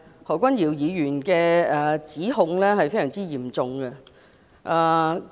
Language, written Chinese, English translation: Cantonese, 何君堯議員的指控是非常嚴重的。, The allegations made by Dr Junius HO are very serious